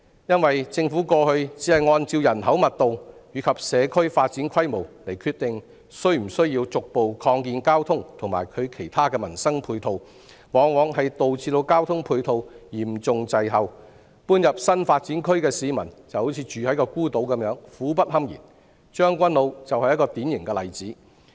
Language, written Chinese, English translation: Cantonese, 因為政府過去只按人口密度和社區發展規模來決定是否需要逐步擴建交通和其他民生配套，往往導致交通配套嚴重滯後，搬入新發展區的市民猶如住在孤島般，苦不堪言，將軍澳就是一個典型例子。, Because in the past when the Government decided whether it was necessary to gradually provide additional transport and livelihood facilities on the basis of population density and the scale of community development the provision of transport facilities would usually be seriously lagging behind . The residents who moved into the new development district would have the feeling of living in an isolated island and their untold miseries are beyond description . Tseung Kwan O is a typical example